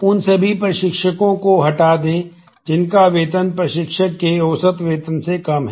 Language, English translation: Hindi, Delete all instructors whose salary is less than the average salary of instructor